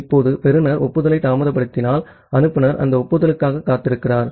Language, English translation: Tamil, Now if the receiver is delaying the acknowledgement and the sender is waiting for that acknowledgement